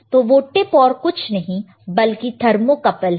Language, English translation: Hindi, And that tip is nothing but your thermocouple, you can see